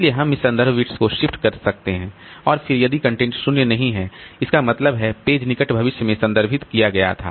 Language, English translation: Hindi, And by using this reference bits, so we can shift this reference bits and then if the content is non zero, that means the page was referred to in the near future, so it is in the working set